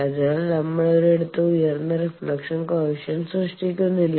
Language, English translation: Malayalam, So, that nowhere we are generating a high reflection coefficient